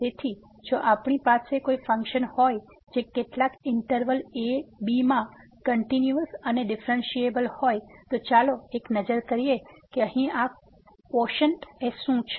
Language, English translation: Gujarati, So, if we have a function which is continuous and differentiable in some interval and then let us take a look what is this quotient here